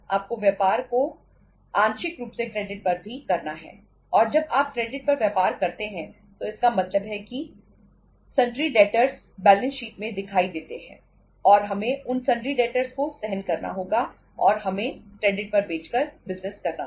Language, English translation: Hindi, You have to do the business partly on credit also and when you do the business on credit it means sundry debtors appear in the balance sheet and we have to bear those sundry debtors and we will have to do the business by selling on the credit